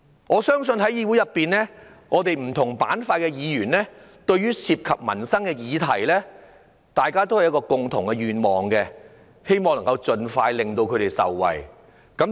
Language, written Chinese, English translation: Cantonese, 我相信對於涉及民生的議題，議會裏不同板塊的議員也有共同願望，就是希望能夠盡快通過，令市民受惠。, I believe regarding issues about peoples livelihood Members from different factions in the Council will share a common wish namely the expeditious passage of the Budget for peoples benefits